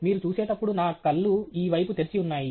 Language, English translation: Telugu, As you see that the side of my eyes are open